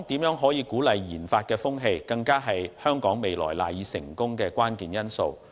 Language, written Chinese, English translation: Cantonese, 如何鼓勵研發的風氣，更是香港未來賴以成功的關鍵因素。, Promoting research and development is also the key to Hong Kongs future success